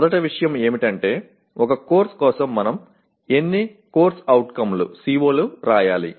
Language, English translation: Telugu, First thing is how many COs should we write for a course